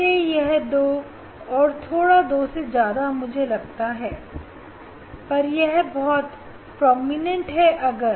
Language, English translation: Hindi, that is why it is two or slightly it is a more than two it looks to me, but one is very prominent and